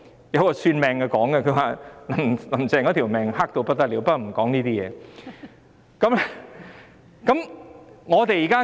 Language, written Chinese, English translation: Cantonese, 有個算命的人說"林鄭"的命格差得不得了，不過我不說這些事。, A fortune - teller said that the fate pattern of Carrie LAM is awfully bad . But I do not talk about this stuff